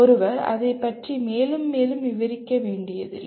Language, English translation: Tamil, One does not have to elaborate more and more on that